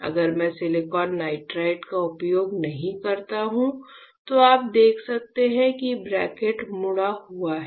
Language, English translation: Hindi, If I do not use silicon nitride then you can see that the cantilever is bend right